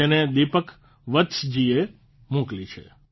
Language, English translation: Gujarati, It has been sent by Deepak Vats ji